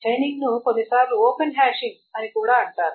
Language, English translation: Telugu, Chaining is also sometimes called open hashing